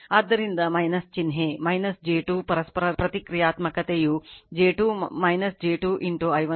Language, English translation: Kannada, So, minus sign so, minus j 2 mutual your reactance is j 2 minus j 2 into i 1 plus i 2